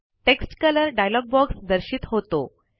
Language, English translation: Marathi, The Text Color dialog box appears